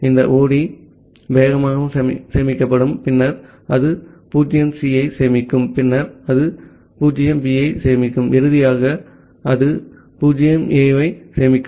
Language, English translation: Tamil, So, this 0D will be stored fast then it will store 0C, then it will store 0B, and finally, it will store 0A